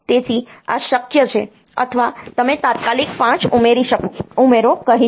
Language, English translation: Gujarati, So, this is possible or you can say add immediate 5